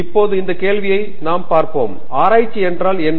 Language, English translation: Tamil, So, we will now look at this question; What is research